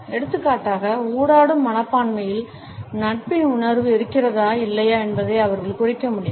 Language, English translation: Tamil, For example, they can indicate whether there is any sense of friendliness in the attitude of the interactant or not